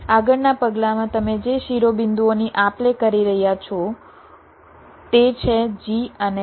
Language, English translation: Gujarati, the vertices you are exchanging are g and b